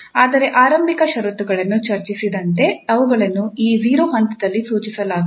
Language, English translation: Kannada, But as far as the initial conditions are discussed, so they will be prescribed at this 0 point